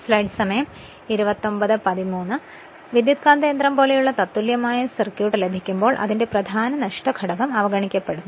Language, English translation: Malayalam, Now, the when will derive that equivalent circuit like transformer its core loss component is neglected